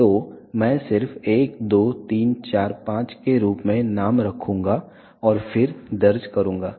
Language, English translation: Hindi, So, I will just maybe the name as 1 2 3 4 5 and then enter